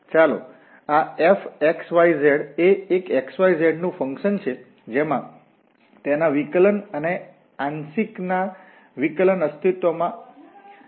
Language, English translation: Gujarati, So let this f x,y,z be a function of x, y, z, such that it its derivative the partial derivatives exist